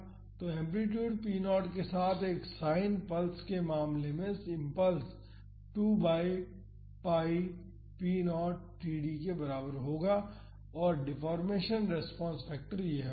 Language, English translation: Hindi, So, in the case of a sine pulse with amplitude p naught the impulse would be equal to 2 by pi p naught td and, the deformation response factor would be this